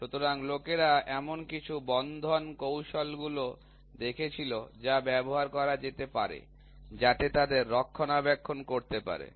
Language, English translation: Bengali, So, people were looking at some fastening techniques which can be used so, that they can have maintenance